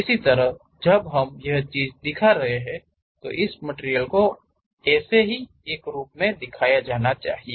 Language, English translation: Hindi, Similarly, when we are representing; this material has to be shown as a representation